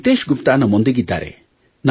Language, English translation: Kannada, Nitesh Gupta from Delhi…